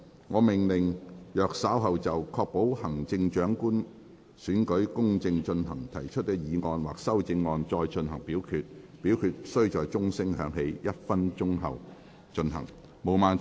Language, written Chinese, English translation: Cantonese, 我命令若稍後就"確保行政長官選舉公正進行"所提出的議案或修正案再進行點名表決，表決須在鐘聲響起1分鐘後進行。, I order that in the event of further divisions being claimed in respect of the motion on Ensuring the fair conduct of the Chief Executive Election or any amendments thereto this Council do proceed to each of such divisions immediately after the division bell has been rung for one minute